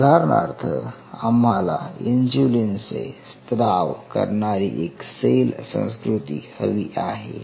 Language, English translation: Marathi, So, having said this say for example, we wanted to culture a cell which secretes insulin